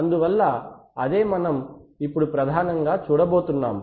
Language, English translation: Telugu, So that is what we are going to look at mainly now